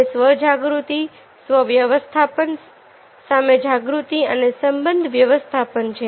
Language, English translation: Gujarati, it is a self awareness, self management, social awareness and relationship management